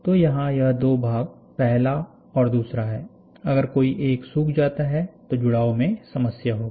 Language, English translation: Hindi, So, this is first and this is second, if this fellow dries it off, then sticking will be a problem